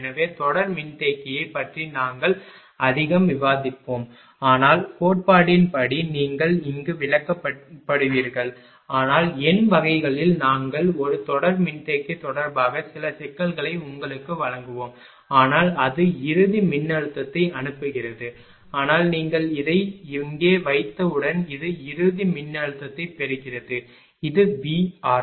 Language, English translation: Tamil, So, little bit we will discuss ah series capacitor not much, but ah your ah as per as theory is concerned will be explained here, but in the numerical type we assignment we will give you some ah problem regarding a series capacitor, but this is sending end voltage, but this is receiving end voltage as soon as you put this here it is V R